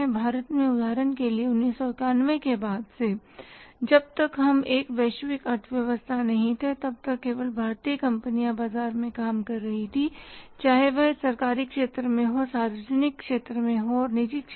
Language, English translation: Hindi, In India for example till 1991 since we were not a globalized economy so only Indian companies were operating in this market whether they were into the government sector, public sector, private sector but this market was only open for the Indian companies